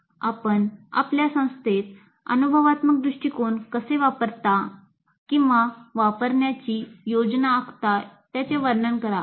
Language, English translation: Marathi, Describe how you use or plan to use experiential approach in your institution